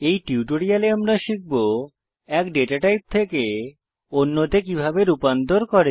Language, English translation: Bengali, In this tutorial we have learnt how to convert data from one type to another